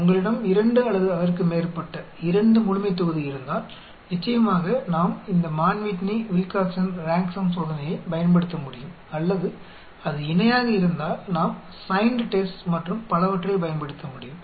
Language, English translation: Tamil, If you have 2 or more, 2 population then of course we can use this Mann Whitney/Wilcoxon Rank Sum Test or if it is Paired then we can use the Signed Test and so on